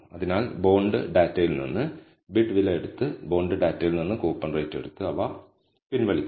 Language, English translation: Malayalam, So, take bid price from the bonds data and take coupon rate from the bonds data and regress them